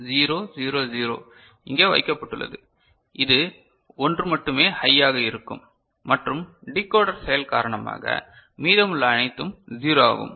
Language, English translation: Tamil, 0 0 0 is placed over here so, only this one will be high and rest all are 0 because of the decoder action